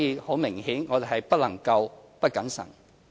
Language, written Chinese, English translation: Cantonese, 很明顯，我們不能夠不謹慎。, Apparently we cannot afford being incautious